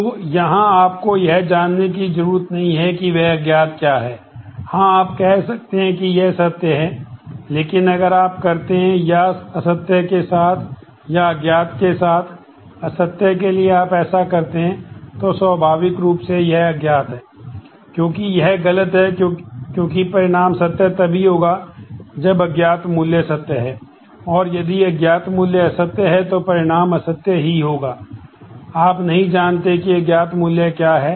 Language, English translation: Hindi, So, here you do not need to know what is that unknown well you can say it is true, but if you do or with false or of unknown with false the second row or of unknown with false if you do this, then naturally this is unknown because, since this is false the result would be true only if unknown value is true and the result would be false if the unknown value is false, you do not know what that unknown value is